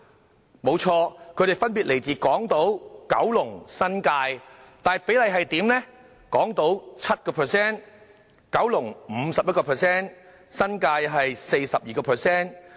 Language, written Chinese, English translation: Cantonese, 他們的確分別來自港島、九龍和新界，但比例分別是 7%、51% 和 42%。, They came from Hong Kong Island Kowloon and the New Territories indeed but the ratio was 7 % 51 % and 42 % respectively